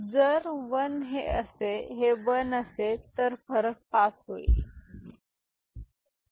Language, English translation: Marathi, And if this is 1 then the difference gets passed, the difference gets passed